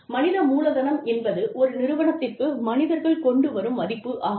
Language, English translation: Tamil, Human capital is the value, that human beings bring to an organization